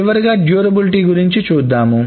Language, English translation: Telugu, The last thing is about durability